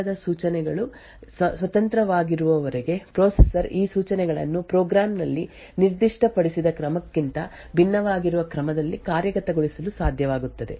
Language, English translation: Kannada, So as long as the arguments in the load instructions and those of these subsequent instructions are independent it would be possible for the processor to actually execute these instructions in an order which is quite different from what is specified in the program